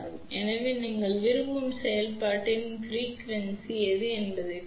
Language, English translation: Tamil, So, depending upon whatever is the frequency of operation you desire